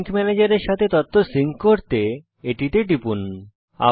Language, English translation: Bengali, You can click on it to sync your data with the sync manager